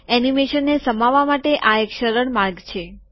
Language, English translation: Gujarati, This is simpler way to include animation